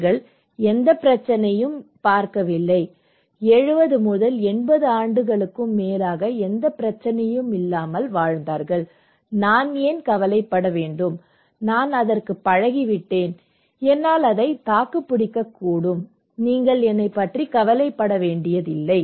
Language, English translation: Tamil, They did not have any problem, they lived 70 years, 80 years without any much issue, why should I bother, I am used to it, I become resilient so, do not worry about me, oh, this is one perspective